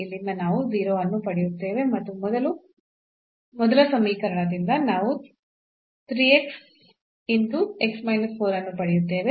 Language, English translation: Kannada, So, we will get x is equal to 0 and 4 from the first equation, from the second equation we will get y is equal to 0